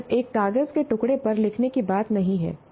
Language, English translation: Hindi, This is not just some something to be written on a piece of paper